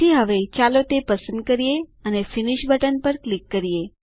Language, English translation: Gujarati, So now, let us select it and click on the Finish button